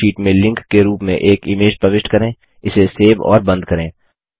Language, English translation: Hindi, Insert an image as a link in a Calc sheet, save and close it